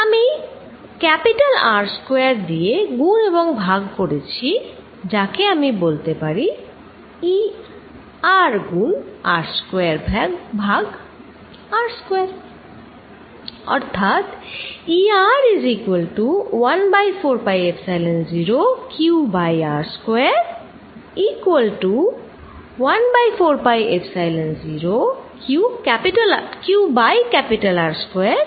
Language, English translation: Bengali, I have multiplied and divided by capital R square, which I am going to say E R times R square over r square